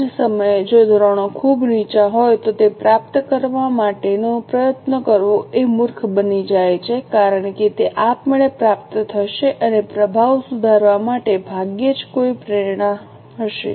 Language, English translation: Gujarati, At the same time, if standards are too low, it becomes senseless to put effort to achieve them because they would automatically be achieved and hardly there will be any motivation to improve the performance